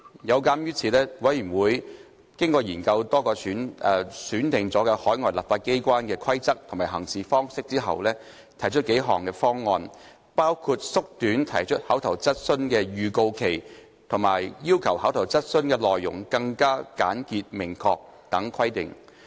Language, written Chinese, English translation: Cantonese, 有鑒於此，委員會經過研究多個選定海外立法機關的規則及行事方式後，提出數項方案，包括縮短提出口頭質詢的預告期及要求口頭質詢內容更為簡潔明確等規定。, Therefore after studying the rules and practices of selected overseas legislatures the Committee brought forward a few proposals including proposals that the notice period for asking oral questions be shortened and proposals requiring that contents of oral questions be more succinct